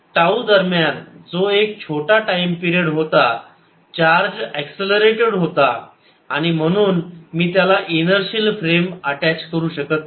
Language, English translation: Marathi, the reason is very simple: during tau, that small time period, the charge was accelerating and therefore i cannot actually attach an inertial frame to it